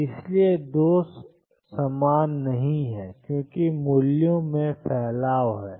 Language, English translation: Hindi, And therefore, 2 are not the same because there is a spread in the values